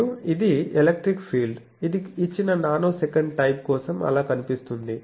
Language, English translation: Telugu, And this is the electric field how it looks like for a given very nanosecond type of a thing